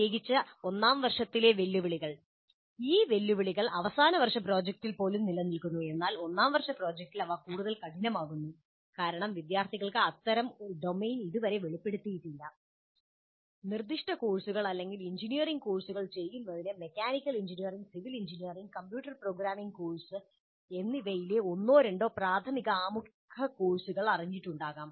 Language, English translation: Malayalam, The challenges which are present particularly in first year, these challenges exist even in final year project, but they become more severe with first year project because the students as it are not yet exposed to domain specific courses or engineering courses, much, maybe one or two elementary introductory courses in mechanical engineering, civil engineering, and a computer programming course